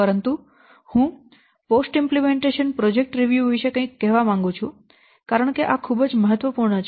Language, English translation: Gujarati, But I want to say something about this post implementation project review because this is very, very important